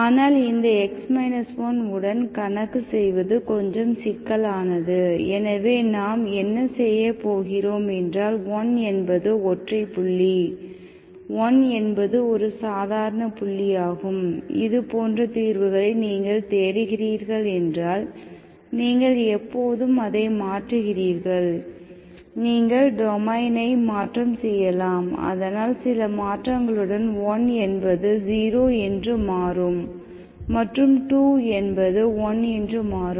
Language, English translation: Tamil, But this, working with x 1 is little cumbersome, so let us, what we do is, we always, when 1 is singular, 1 is the ordinary point around which you look for the solutions like this, you always shift it, you translate domain so that with some transformation, so that 1 becomes 0